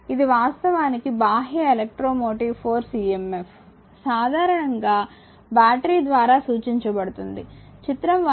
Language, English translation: Telugu, So, this is actually external electromotive force emf, typically represent by the battery figure 1